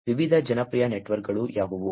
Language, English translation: Kannada, What are the different popular networks